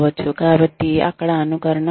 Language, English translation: Telugu, So, there is simulation